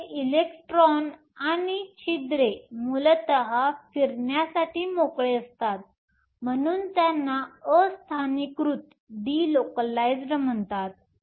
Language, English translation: Marathi, These electrons and holes are essentially free to move, so they are called delocalized